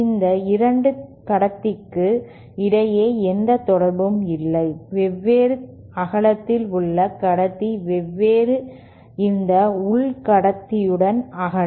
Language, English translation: Tamil, There is no connection between this conductor, this inner conductor of a different width with this inner conductor of a different width